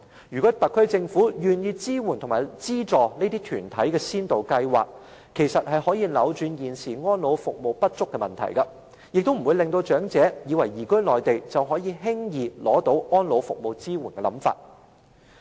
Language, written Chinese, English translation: Cantonese, 如果特區政府願意資助這些團體的先導計劃，就可以扭轉現時安老服務不足的問題，亦不會造成長者出現只須移居內地就可以輕易取得安老服務支援的想法。, If the Government is willing to subsidize the pilot schemes of these organizations it can reverse the problem of inadequate elderly care services and stop the misconception among the elderly that they can easily obtain elderly care service support if they move to the Mainland